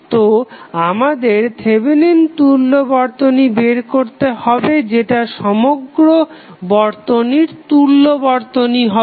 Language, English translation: Bengali, So, we have to find out the Thevenin equivalent which would be the equivalent of the complete circuit